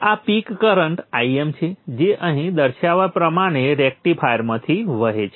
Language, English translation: Gujarati, This definition IM is the peak current that is flowing out of the rectifier as shown here